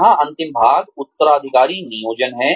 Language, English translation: Hindi, The last portion here is, succession planning